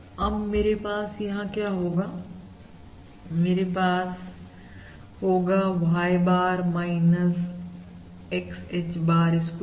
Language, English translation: Hindi, So what I am going to have over here is basically, I am going to have Y bar minus X H bar square